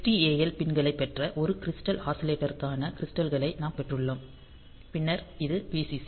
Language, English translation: Tamil, Then we have got the crystals for a crystal oscillator you have got the XTAL pins; then we have got Vcc